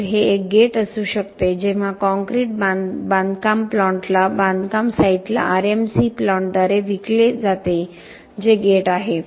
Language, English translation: Marathi, So, this could be a gate when concrete is sold to a construction plant to a construction site by an RMC plant that is a gate